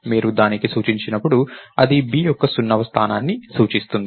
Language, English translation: Telugu, So, when you make it point to that it will point to the 0th location of b